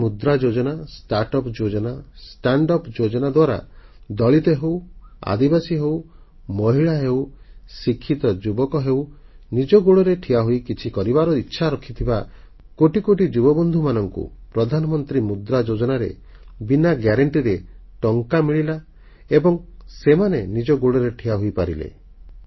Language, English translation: Odia, Pradhan Mantri Mudra Yojna, Start Up Yojna, Stand Up Yojna for Dalits, Adivasis, women, educated youth, youth who want to stand on their own feet for millions and millions through Pradhan Mantri Mudra Yojna, they have been able to get loans from banks without any guarantee